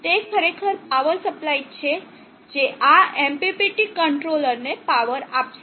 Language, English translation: Gujarati, It is actually the power supply that will be powering up this MPPT controller